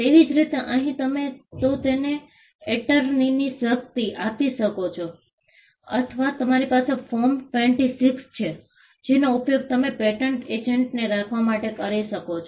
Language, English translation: Gujarati, Similarly, here you do that by, you could either give her a, give a power of attorney or you have Form 26, which you use to engage a patent agent